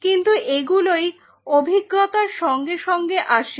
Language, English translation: Bengali, But this is what comes from experience